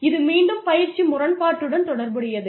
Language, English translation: Tamil, This again relates back, to the training paradox